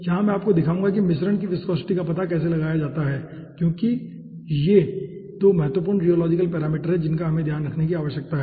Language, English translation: Hindi, here i will be showing you how to find out the mixture viscosity, because these are 2 important rheological parameters we need to take care of